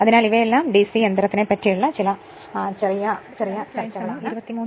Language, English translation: Malayalam, So, next is these are all some brief discussion of the DC machine